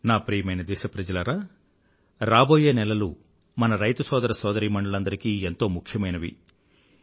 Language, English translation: Telugu, My dear countrymen, the coming months are very crucial for our farming brothers and sisters